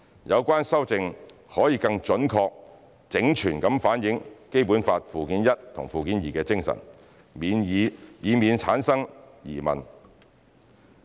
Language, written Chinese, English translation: Cantonese, 有關修正可以更準確、整全的反映《基本法》附件一和附件二的精神，避免產生疑問。, The relevant amendment can more accurately and completely reflect the spirit of Annexes I and II to the Basic Law and avoid doubt